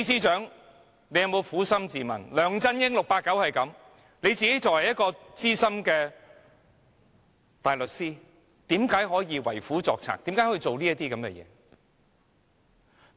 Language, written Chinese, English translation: Cantonese, 縱然 "689" 梁振英如此，但他作為資深大律師，為何可以為虎作倀，做出這些事？, In spite of the evil of 689 LEUNG Chun - ying how would he as a Senior Counsel help the villain to do evil in doing all these?